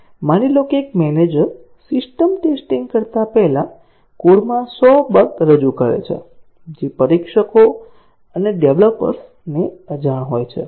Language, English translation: Gujarati, Assume that, a manager, before system testing, introduced 100 bugs into the code, unknown to the testers and developers